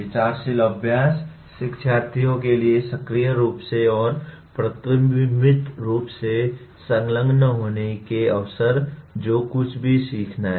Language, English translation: Hindi, Thoughtful practice, opportunities for learners to engage actively and reflectively whatever is to be learned